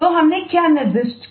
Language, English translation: Hindi, so what did we specify